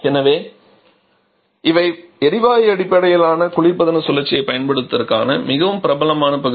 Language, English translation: Tamil, So these are quite popular area of application of gas based refrigeration cycle